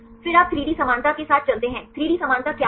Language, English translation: Hindi, Then you go with the 3D similarity what is 3D similarity